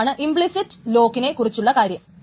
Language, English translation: Malayalam, So that is the thing about implicit locks